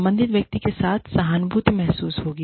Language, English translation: Hindi, The person concerned will feel, empathized with